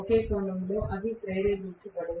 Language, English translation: Telugu, In one sense, they are not induced